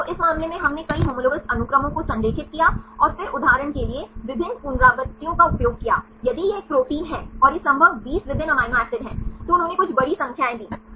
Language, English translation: Hindi, So, in this case, we align several homologous sequences and then use different iterations for example, if you this is a protein and this is the possible 20 different amino acids, they gave some big numbers